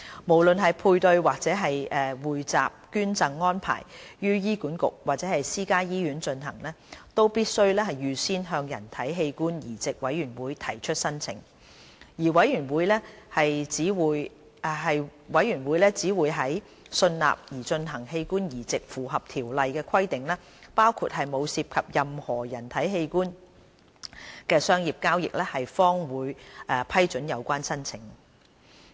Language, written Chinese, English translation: Cantonese, 無論配對或匯集捐贈安排於醫管局或私家醫院進行，都必須預先向人體器官移植委員會提出申請，而委員會只會在信納擬進行的器官移植符合《條例》的規定，包括沒有涉及任何人體器官的商業交易，方會批准有關申請。, Application for prior approval from HOTB is mandatory for paired or pooled donation arrangement no matter whether the transplant is going to take place in HA or private hospital . HOTB will only approve the relevant application when it is satisfied that the proposed organ transplant complies with stipulations under the Ordinance including the fact that the transplant involves no commercial dealing in human organ